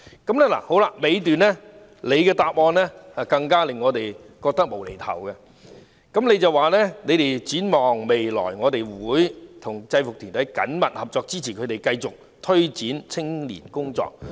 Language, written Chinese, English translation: Cantonese, "主體答覆的最後一段更令我們覺得"無厘頭"，便是局長提到："展望未來，我們會與制服團體緊密合作，支持它們繼續推展青年工作"。, The last paragraph of the main reply even made me feel bizarre and senseless in which the Secretary said Looking ahead we will work closely with UGs to support their ongoing youth work for collaborative efforts